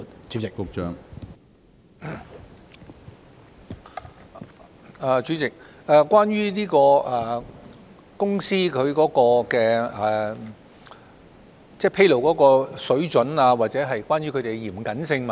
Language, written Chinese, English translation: Cantonese, 主席，我們明白議員關注到公司的披露水準，或他們作出披露時是否嚴謹的問題。, President we understand that Members are concerned about the disclosure standard of enterprises or whether they are prudent when making disclosures